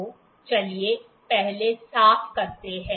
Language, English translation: Hindi, So, let us clean first